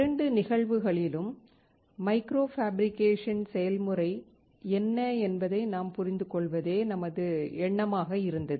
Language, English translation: Tamil, In both the cases, the idea was that we understand what micro fabrication process is